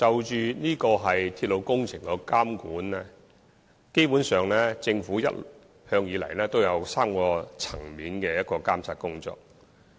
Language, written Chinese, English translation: Cantonese, 就鐵路工程的監管，基本上政府一直進行3個層面的監察工作。, Basically the Government has been monitoring the rail project at three levels